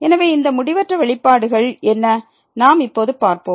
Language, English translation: Tamil, So, what are these indeterminate expressions; we will see now